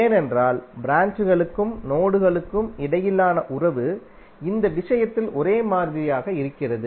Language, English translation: Tamil, Why because relationship between branches and node is identical in this case